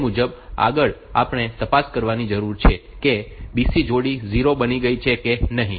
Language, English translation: Gujarati, So, next we need to check whether the B C pair has become 0 or not